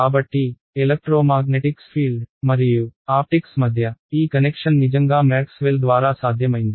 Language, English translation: Telugu, So, this connection between the electromagnetics and optics really was made possible by Maxwell